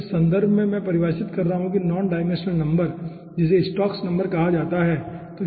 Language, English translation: Hindi, okay, so in this context, let we define what is non dimensional number, called stokes number